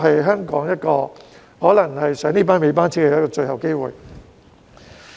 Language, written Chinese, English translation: Cantonese, 因此，這可能是香港坐上"尾班車"的最後機會。, Therefore this may be the last chance for Hong Kong to ride on the last train